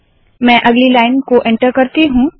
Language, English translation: Hindi, Let me enter the next line